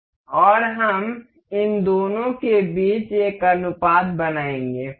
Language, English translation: Hindi, And we will sell set one ratio between these two